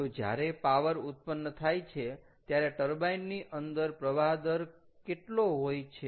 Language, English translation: Gujarati, what is the flow rate into the turbine during power generation